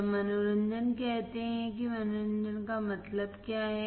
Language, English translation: Hindi, When say entertainment what does entertainment means